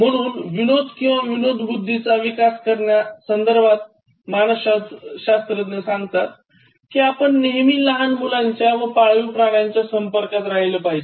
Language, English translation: Marathi, So, one key thing about humour and then developing and retaining it is that, psychologists keep saying that you need to be in touch with children, as well as pet animals